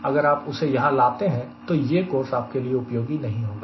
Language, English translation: Hindi, if you are bringing that, this course will not be useful at all